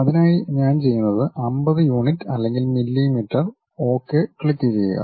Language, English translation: Malayalam, For that what I do, 50 units or millimeters and click Ok